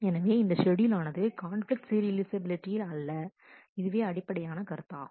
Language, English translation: Tamil, So, this schedule is not conflict serializable, this is the core concept